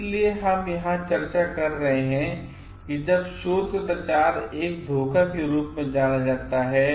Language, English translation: Hindi, So, we are also discussing over here when does a research misconduct qualifies as a fraud